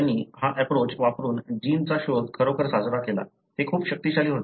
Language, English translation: Marathi, They, you know, really celebrated the discovery of the gene using this approach; it was so powerful